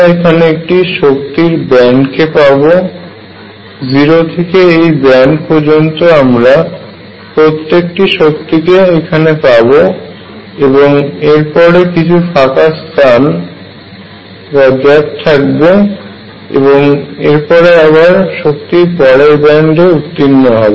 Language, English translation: Bengali, So, what you get is a band of energy, energy ranging from 0 to up to this band all the energies are in this band and then there is a gap and then the energy again picks up is in the next band